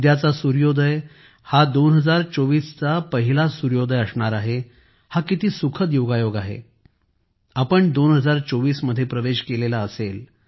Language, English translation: Marathi, And what a joyous coincidence it is that tomorrow's sunrise will be the first sunrise of 2024 we would have entered the year 2024